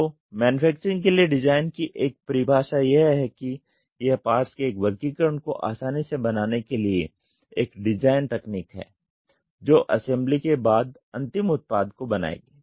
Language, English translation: Hindi, So, what is a definition for design for manufacturing is a design technique for manufacturing ease of an assortment of parts that would constitute the final product after assembly